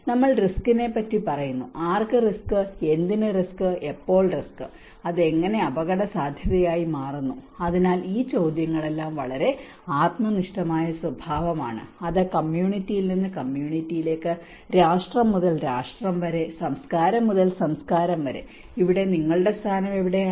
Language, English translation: Malayalam, When we talk about risk, risk to whom, risk to what, risk at when okay, how it becomes a risk, so all these questions are very subjective in nature it varies from community to community, nation to nation and culture to culture and where your position is